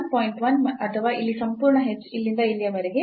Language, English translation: Kannada, 1 or the whole h here is 0